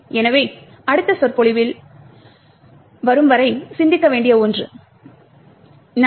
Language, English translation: Tamil, So, this is something to think about until the next lecture, thank you